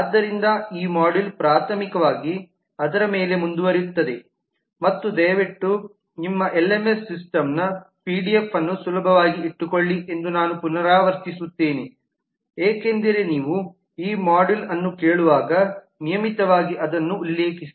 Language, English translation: Kannada, so this module primarily continues on that and i would again repeat that please keep the pdf of your lms system handy please refer to that regularly as you listen to this module